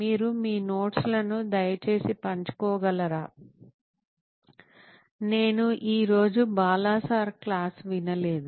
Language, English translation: Telugu, Can you share your notes, I didn’t listen to Bala sir’s class today, please